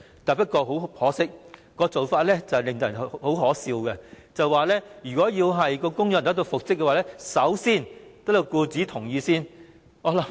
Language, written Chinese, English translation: Cantonese, 不過，很可惜，當時的建議相當可笑，就是如果僱員要求復職，必須先得到僱主的同意。, Unfortunately the proposal was ridiculous in the sense that consent of the employer was required if the employee demanded reinstatement